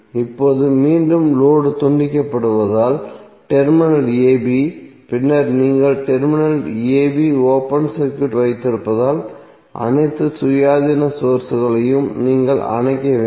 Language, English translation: Tamil, Now again with the load disconnected because the terminal a b then you have open circuit at the terminal a b all independent sources you need to turn off